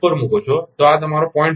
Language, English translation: Gujarati, 4, this is you 0